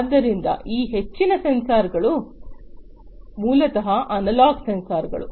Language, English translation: Kannada, So, most of these sensors basically; most of these sensors are basically analog sensors